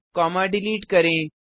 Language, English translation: Hindi, Delete the comma